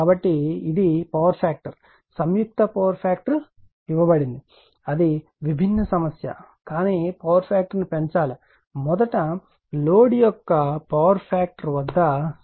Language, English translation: Telugu, So, it is power factor you whatever combined power factor is given that different issue, but you have to raise the power factor right , at the power factor of the your what you call the first load is 0